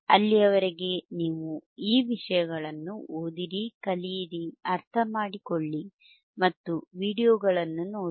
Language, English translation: Kannada, Till then you take care read thisese things, learn, understand and look at the videos,